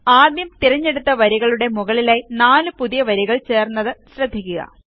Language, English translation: Malayalam, Notice that 4 new rows are added above the first of the selected rows